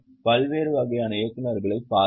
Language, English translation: Tamil, So, go through that, look at various types of directors